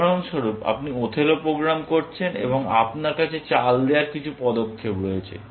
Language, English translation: Bengali, For example, you are doing the Othello program, and you have some set of moves to generate